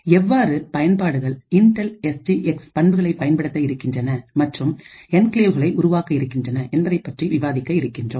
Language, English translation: Tamil, We will look at how applications would use the Intel SGX feature and we create enclaves